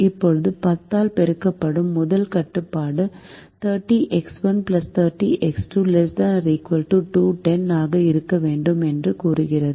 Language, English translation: Tamil, now the first constraint, multiplied by ten, says that thirty x one plus x two has to be less than or equal to two hundred and ten